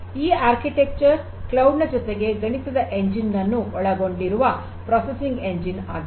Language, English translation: Kannada, This is also this processing engine which consists of the cloud as well as the Math Engine